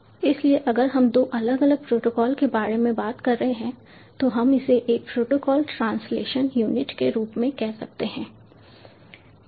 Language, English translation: Hindi, so if it, if we are talking about two different protocols, we can call it as a protocol proto col translation unit, ptu